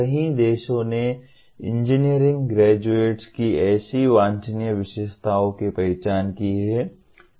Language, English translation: Hindi, Many countries have identified such desirable characteristics of engineering graduates